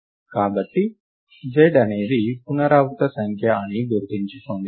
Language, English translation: Telugu, So, is remember that z is the iteration number